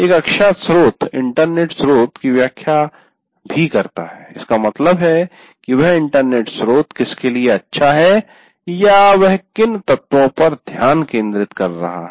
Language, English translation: Hindi, That means what is that internet source we have identified is good for or what elements it is focusing on